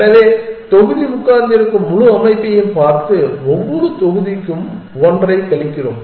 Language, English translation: Tamil, So, we are looking at the whole structure that the block is sitting on and subtract one for every block